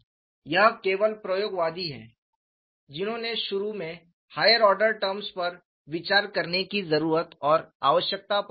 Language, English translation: Hindi, It is only experimental is, who emphasized initially, the need and requirement for considering higher order terms